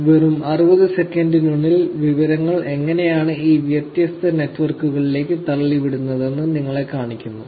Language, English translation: Malayalam, Showing you how information is actually being pushed into these different networks in just 60 seconds